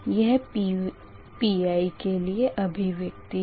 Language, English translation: Hindi, so this is your expression of pi, right, this is expression of pi